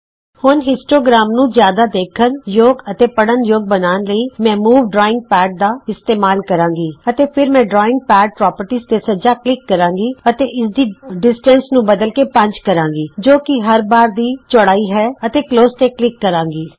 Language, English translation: Punjabi, Now to make the histogram more visible or readable , I will use the move drawing pad.And then I will also right click on drawing pad properties here and change this distance to 5 which is the width of each bar and say close